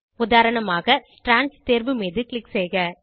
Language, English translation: Tamil, For example click on Strands option